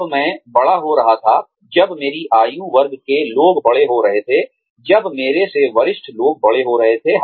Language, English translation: Hindi, When I was growing up, when people in my age group were growing up, when people senior to me were growing up